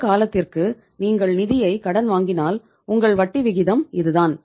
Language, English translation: Tamil, So it means if you are borrowing the funds for this much period of time your interest rate is this much